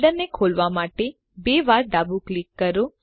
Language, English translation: Gujarati, Left double click to open the folder